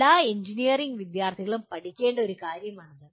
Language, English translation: Malayalam, This is one thing that all engineering students should learn